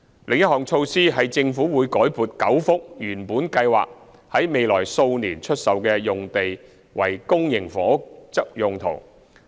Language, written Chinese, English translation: Cantonese, 另一項措施是政府已改撥9幅原本計劃在未來數年出售的用地為公營房屋用途。, Another initiative is that the Government has reallocated nine sites which were originally intended for sale in the coming few years for public housing